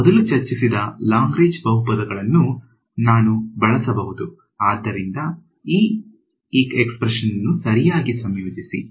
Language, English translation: Kannada, So, I can use what we have discussed earlier the Lagrange polynomials so integrate this guy out right